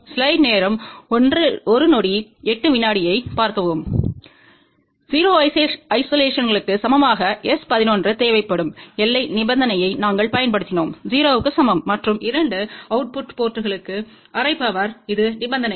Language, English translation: Tamil, And then we had applied the boundary condition we require S 1 1 equal to 0 isolation to be equal to 0, and for half power to the 2 output ports this was the condition port